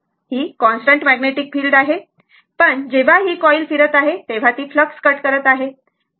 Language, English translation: Marathi, It is a constant magnetic field, but when this coil is revolving it is cutting the flux, right